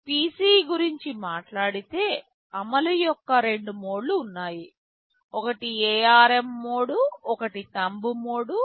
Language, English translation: Telugu, Talking about PC, there are two modes of execution; one is the ARM mode, one is the Thumb mode